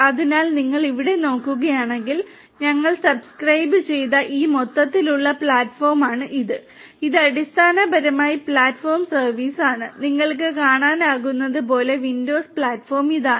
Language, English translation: Malayalam, So, if you look over here this is this overall platform that we have also subscribe to, this is basically the Platform as a Service; windows platform as you can see and this is this thing and we also